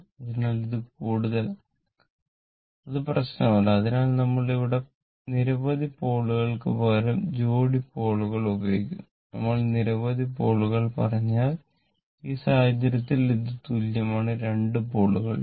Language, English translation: Malayalam, So, it is, it may be more also, it does not matter, so when we are talking here, we talk pair of poles instead of number of pole, if you say number of pole then in this case, it is p is equal to 2 pole